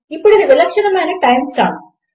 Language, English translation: Telugu, Now this is the unique time stamp